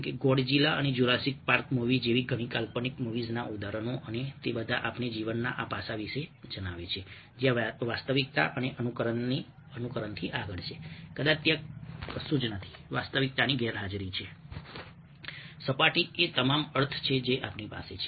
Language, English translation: Gujarati, the examples of many fantasy movies like Godzilla, ah and ah, Jurassic park movies, and all that i tell us about this aspect of life where the beyond simulation of reality, probably there is nothing, there is absence of reality